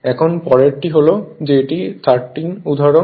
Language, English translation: Bengali, Now, next one is that this is the example 13